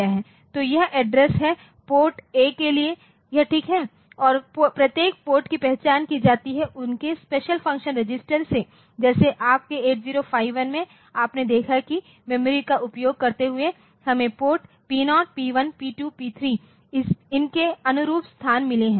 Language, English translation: Hindi, So, that address are fix PORT A to port is there at this is at fix and each port is identified by it is special function registers just like your 8051 you have seen that using the memory so, we have got locations corresponding to the ports P0, P1, P2, P3